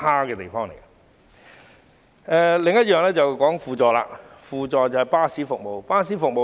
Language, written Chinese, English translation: Cantonese, 我想談論的另一點是港鐵的輔助巴士服務。, Another point I want to talk about is the auxiliary bus service of the MTR